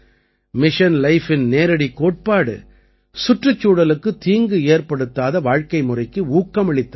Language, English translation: Tamil, The simple principle of Mission Life is Promote such a lifestyle, which does not harm the environment